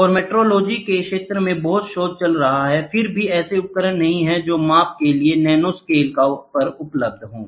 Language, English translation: Hindi, And there is lot of research going on in research in the area of nanometrology, still there are not many tools which are available at nanoscales for measurements, ok